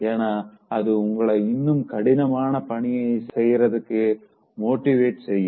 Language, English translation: Tamil, So, that will again try to motivate you to achieve tougher task further